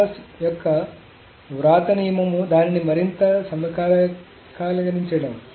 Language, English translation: Telugu, So Thomas's right rule is to make it a little bit more concurrent